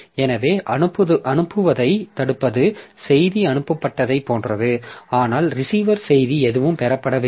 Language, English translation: Tamil, So blocking send is something like this, the message is sent but there is no receiver